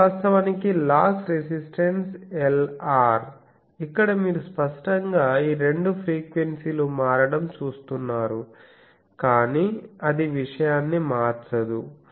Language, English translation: Telugu, So, this is actually the loss resistance Lr ok, here you see obviously these two frequencies are getting shifted but that does not change the thing